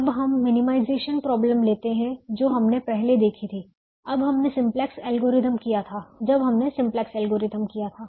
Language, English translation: Hindi, now let us take the minimization problem that we saw very early here when we did the simplex algorithm